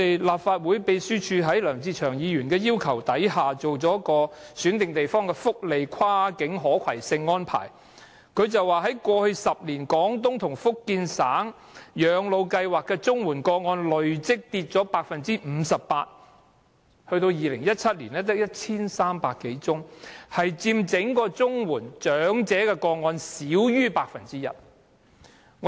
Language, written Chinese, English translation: Cantonese, 立法會秘書處在梁志祥議員要求下，研究了選定地方的福利跨境可攜性安排，指出在過去10年，在綜援長者廣東及福建省養老計劃的綜援個案累積下跌 58%， 到2017年只有 1,300 多宗，佔整體領取綜援的長者個案少於 1%。, At the request of Mr LEUNG Che - cheung the Legislative Council Secretariat has made a study on the portability of welfare benefits in selected places . The findings show that in the last 10 years the number of elderly recipients under the Portable Comprehensive Social Security Assistance Scheme has fallen cumulatively by 58 % . In 2017 the relevant number dropped to 1 300 or so making up less than 1 % of all elderly CSSA recipients